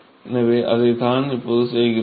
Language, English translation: Tamil, So, that is what we are going to do now